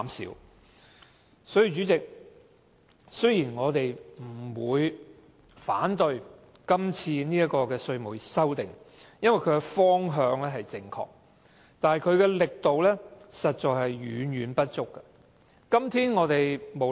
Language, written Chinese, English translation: Cantonese, 因此，代理主席，雖然我們並不反對這項《條例草案》，因為它的方向正確，但力度卻嫌不足夠。, Therefore Deputy President although we do not oppose the Bill which is heading towards the right direction the proposals are not vigorous enough